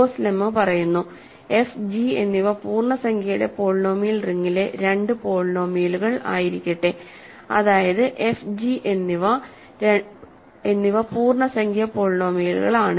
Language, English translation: Malayalam, So, the Gauss lemma says that, let f and g be two polynomials in the integer polynomial ring, that means, f and g are integer polynomials